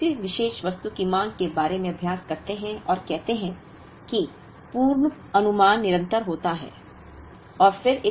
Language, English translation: Hindi, If we look at practice, about demand of a particular item and let us say the forecasting happens continuously